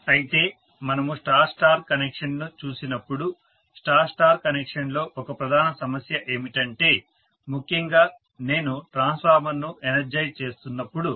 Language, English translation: Telugu, But, when we look at star star connection we said that one of the major problems in star star connection is that especially when I am energizing the transformer